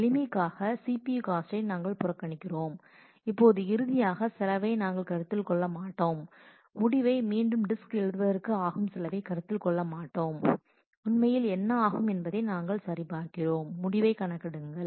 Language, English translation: Tamil, For simplicity we will ignore the CPU cost and we will also for now not consider the cost of finally, writing the result back to the disk we will simply check as to what will it take to actually compute the result